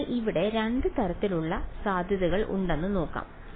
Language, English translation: Malayalam, So, let us see there are sort of 2 possibilities over here